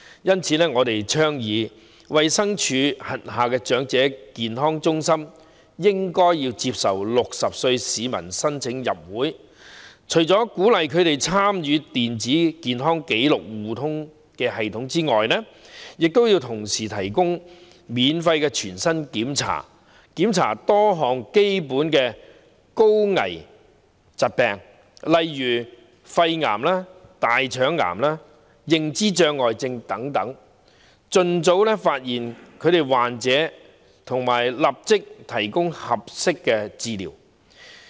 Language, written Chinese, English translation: Cantonese, 因此，我們倡議衞生署轄下長者健康中心接受60歲市民申請入會，鼓勵他們參與電子健康紀錄互通系統之餘，同時提供免費全面身體檢查，涵蓋多項基本的高危疾病，例如肺癌、大腸癌，認知障礙症等，以便盡早發現患者和立即提供合適治療。, Therefore we propose that the Elderly Health Centres under the Department of Health accept applications of people aged 60 and while encouraging them to participate in the Electronic Health Record Sharing System provide comprehensive body checks free of charge covering various basic high - risk diseases such as lung cancer colorectal cancer dementia etc so as to spot sufferers as early as possible and provide appropriate treatment immediately